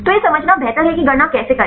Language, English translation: Hindi, So, it is better to understand how to calculate